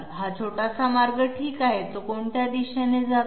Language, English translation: Marathi, This small path okay, in which direction does it move